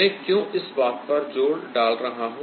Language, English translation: Hindi, why i am stressing this, why i am stressing this